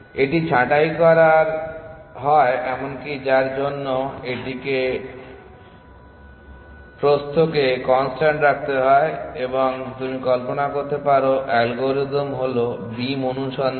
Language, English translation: Bengali, This is to prune this even for which is to keep it of constant width and you can imagine the algorithm is beam search